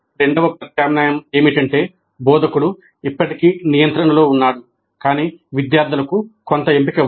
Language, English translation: Telugu, The second alternative is that instructor is still in controls, but students have some choice